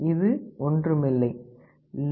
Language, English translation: Tamil, It is nothing, but log2 128